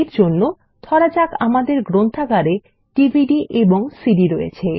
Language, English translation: Bengali, For this, let us assume that our Library has DVDs and CDs